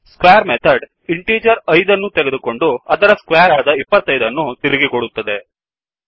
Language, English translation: Kannada, The square method takes an integer 5 and returns the square of the integer i.e